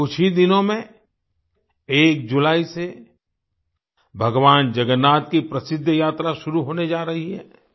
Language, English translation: Hindi, In just a few days from now on the 1st of July, the famous journey of Lord Jagannath is going to commence